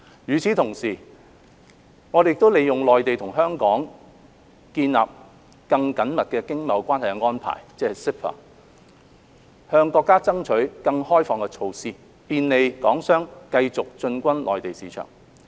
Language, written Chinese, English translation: Cantonese, 與此同時，我們亦利用《內地與香港關於建立更緊密經貿關係的安排》，向國家爭取更開放的措施，便利港商繼續進軍內地市場。, In the meantime we have taken advantage of the Mainland and Hong Kong Closer Economic Partnership Arrangement CEPA to seek more liberalization measures from the country to facilitate Hong Kong enterprises to continue to venture into the Mainland market